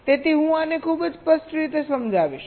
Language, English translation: Gujarati, so i shall be explaining this very clearly